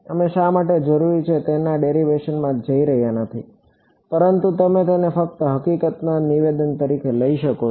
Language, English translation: Gujarati, We are not going into the derivation of why this is required, but you can just take it as a statement of fact